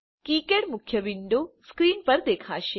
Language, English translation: Gujarati, KiCad main window will appear on the screen